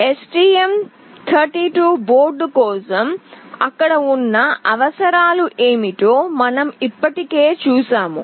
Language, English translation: Telugu, For STM32 board we have already seen what are the requirements that are there